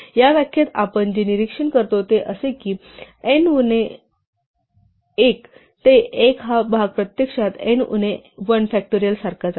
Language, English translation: Marathi, What we observe in this definition is that, this part from n minus 1 to 1 is actually the same as n minus 1 factorial